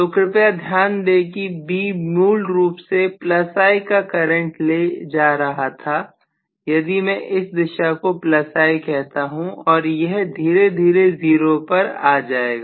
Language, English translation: Hindi, So please note that B was originally carrying a current of plus I if I may call this direction as plus I and it can slowly come down to 0